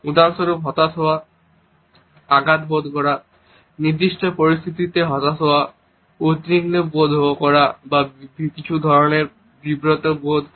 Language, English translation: Bengali, For example, of being frustrated, feeling hurt, being disappointed in certain situation, feeling worried or feeling some type of an embarrassment